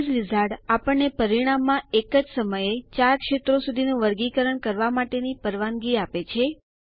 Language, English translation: Gujarati, The Base Wizard, allows us to sort upto 4 fields in the result list at a time